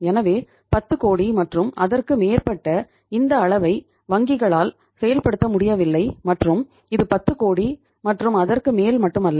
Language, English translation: Tamil, So banks are not able to implement this threshold level of the 10 crores and above and this is not the 10 crore and above only